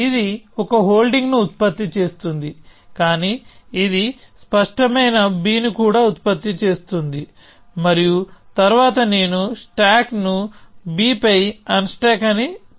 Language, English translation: Telugu, Let us say this is producing it is producing holding a, but it is also producing clear b and then I am saying unstack stack x on to b